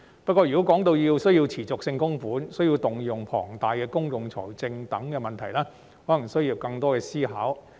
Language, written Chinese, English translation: Cantonese, 不過，如果需要作持續性供款，則會牽涉到需要動用龐大的公共財政資源等問題，這可能需要作更多思考。, However if there is a need to make continuous contributions it will involve the use of huge public financial resources and this may warrant more thought